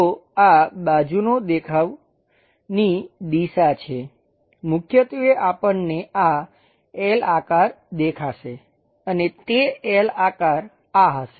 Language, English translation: Gujarati, This is the side view direction; we will be seeing this L shape predominantly and that L shape will be this